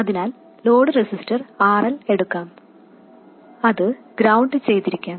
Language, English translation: Malayalam, So, let me take the load resistor, RL, which could be grounded